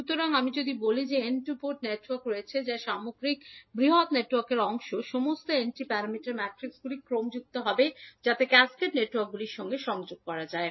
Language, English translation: Bengali, So, if we say there are n two port networks which are part of the overall bigger network, all n T parameter matrices would be multiplied in that particular order in which the cascaded networks are connected